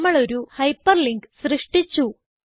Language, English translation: Malayalam, We have created a hyperlink